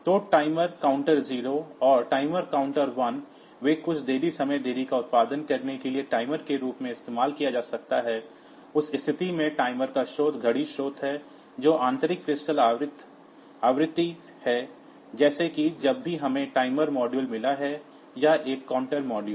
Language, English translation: Hindi, So, the timer counter 0 and timer counter 1 they can be used as either timer to produce some delay time delay, in that case the source of the timer is clock source is the internal crystal frequency like whenever we have got a timer module or a counter module